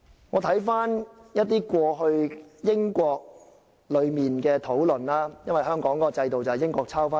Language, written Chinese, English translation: Cantonese, 我看了英國過去的討論，因為香港的制度源於英國制度。, I have reviewed past debates in the United Kingdom for Hong Kongs system originated from those of the United Kingdom